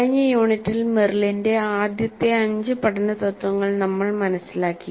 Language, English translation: Malayalam, It implements Merrill's five first principles of learning